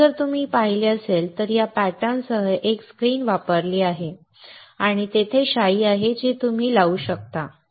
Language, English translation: Marathi, So, in this if you have seen, there is a screen that is used with this pattern and there is ink that you can put